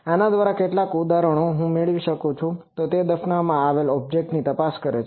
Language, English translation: Gujarati, Some of the examples I will have it through this is buried object detection